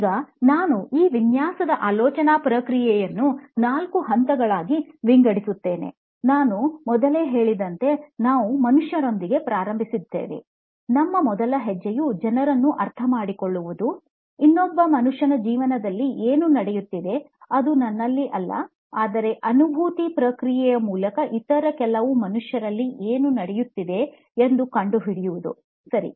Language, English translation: Kannada, Now, how I split this design thinking process is into four steps, like I said before, like I remarked before, we start with the human, so people understanding people is part and parcel of our first step and how do I find out what is going on in another human being, not in myself, but in some other human being is through the process of empathy